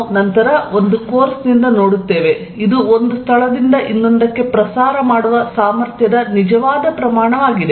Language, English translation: Kannada, We will see later in the course that it is a real quantity that is capable of propagating from one place to the other